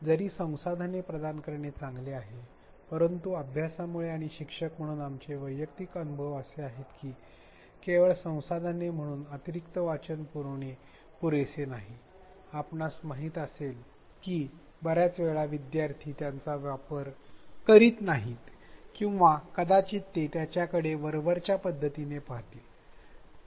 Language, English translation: Marathi, While it is great to provide a variety of resources its known from studies as well as our personal experience as teachers that it is not enough to simply provide resources the additional reading, the references we know that many a time students just do not access them or maybe they will look at it in a cursory fashion